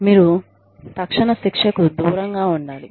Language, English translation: Telugu, You must avoid, immediate punishment